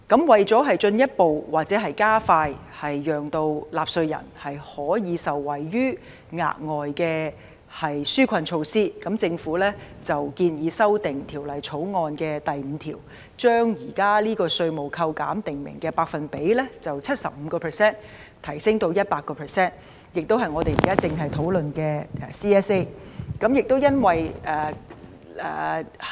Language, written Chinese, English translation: Cantonese, 為進一步加快讓納稅人可以受惠於額外的紓困措施，政府建議修訂《條例草案》第5條，將現時稅務扣減訂明的百分比由 75% 提升至 100%， 這亦正是我們正在討論的全體委員會審議階段修正案。, In order to enable taxpayers to benefit more expeditiously from this further relief measure the Government proposes to amend clause 5 of the Bill to increase the specified percentage of tax deduction from the existing 75 % to 100 % . This proposal is precisely contained in the Committee stage amendment CSA now under discussion